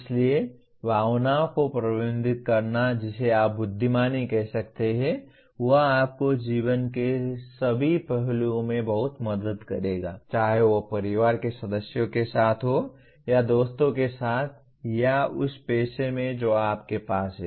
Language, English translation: Hindi, So managing emotions in a what you may call as intelligent way will greatly help you in your all aspects of life whether at home with family members or with friends or in the profession that you have